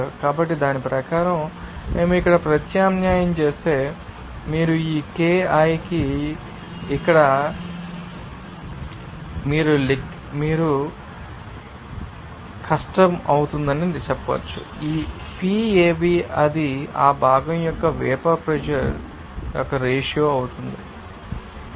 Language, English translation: Telugu, So, according to that, if we substitute here you can simply say that this k i will be difficult to here p Av that will be a ratio of vapour pressure of the component to it is you know, total pressure